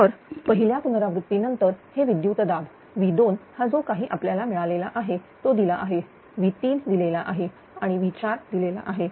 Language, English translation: Marathi, So, after first iteration these are the voltages; V 2 is given whatever we have got it V 3 is given and V 4 is given